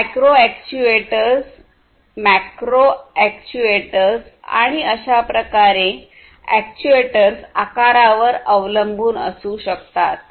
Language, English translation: Marathi, These could be micro actuators, macro actuators, and so on depending on the size of these actuators